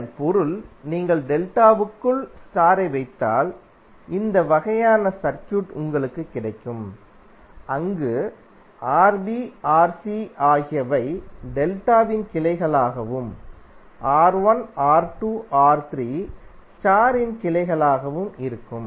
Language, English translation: Tamil, It means that if you put the star inside the delta you will get this kind of circuit where Rb, Ra, Rc are the branches of delta and R1, R2, R3 are the branches of star